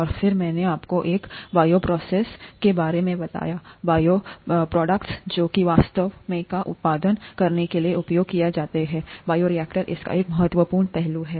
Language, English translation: Hindi, And then I told you a bioprocess which is what is actually used to produce bioproducts, bioreactor is an important aspect of it